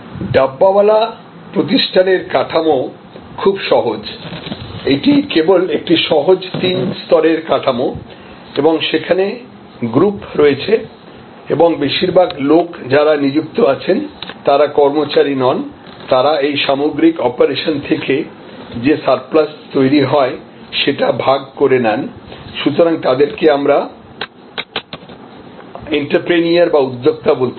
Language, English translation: Bengali, The structure of the Dabbawala organization is very simple, it is just simple three tier structure and there are groups and mostly the people, who are engage, they are not really employees, they share the overall surplus; that is generated by the operation and so in a way they are entrepreneurs